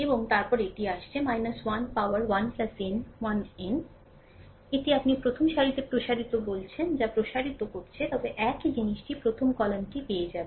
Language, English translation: Bengali, And then it is coming minus 1 the power 1 plus n 1 n this is expanding your what you call expanding along the first row, but the same thing will get along the first column